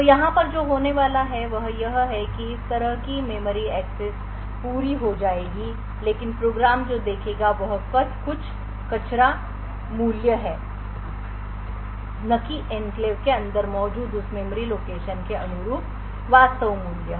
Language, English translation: Hindi, So what is going to happen over here is that such a memory access would complete but what the program would see is some garbage value and not the actual value corresponding to that memory location present inside the enclave